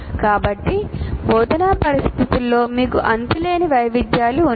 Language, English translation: Telugu, So you have endless variations in the instructional situations